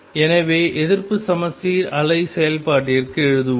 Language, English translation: Tamil, So, let us write for anti symmetric wave function